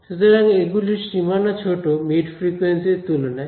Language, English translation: Bengali, So, they are short range relative to at least the mid frequency range